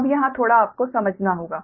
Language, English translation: Hindi, little bit you have to understand here